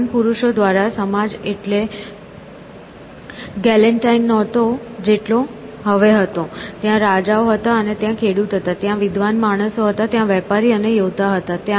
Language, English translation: Gujarati, By learned men, know, society was not very as galantive as it was now; they were the kings, and they were the peasants, and they were the learned men, they were the traders and the warriors